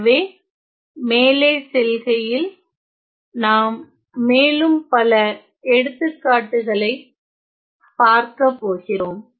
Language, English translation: Tamil, So, then moving on let us look at some other examples